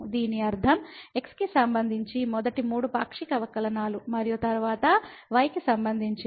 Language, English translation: Telugu, This means the first three partial derivative with respect to and then with respect to